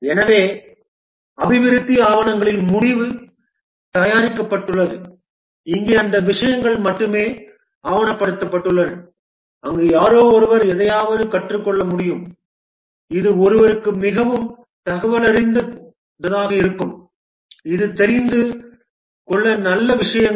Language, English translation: Tamil, So at the end of development documents are prepared and here only those things are documented where somebody can learn something which will be very informative to somebody which is good things to know